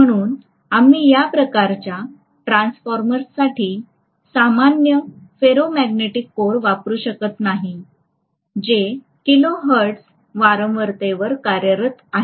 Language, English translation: Marathi, So we cannot use a normal ferromagnetic core for these kinds of transformers which are working at kilo hertz frequency, right